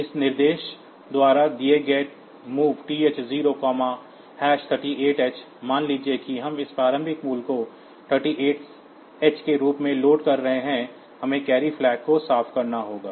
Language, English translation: Hindi, So, that is done by this instruction MOV TH0,#38h, suppose we are loading this initial value as 38h, we have to clear the carry flag